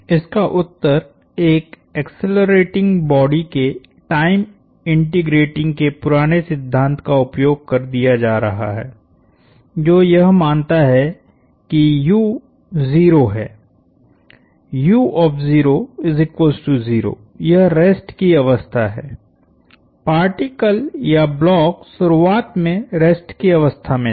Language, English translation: Hindi, The answer to that is using old principle of time integrating for an accelerating body, this assumes that u is 0, u at 0 is 0, this is rest the particle or the block was initially at rest